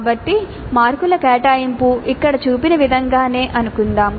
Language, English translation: Telugu, So the marks allocation let us assume is as shown here